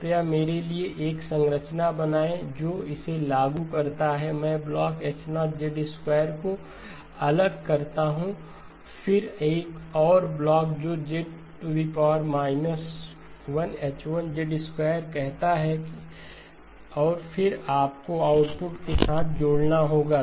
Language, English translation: Hindi, Please draw for me a structure that implements this, I separate out the blocks H0 of Z squared then another block which says Z inverse, H1 of Z squared and then you have to add the outputs together